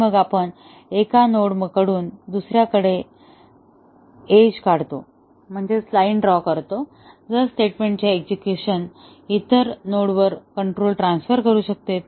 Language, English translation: Marathi, And then, we draw an edge from one node to other, if execution of a statement can transfer control to the other node